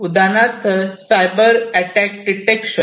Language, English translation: Marathi, So, what is Cybersecurity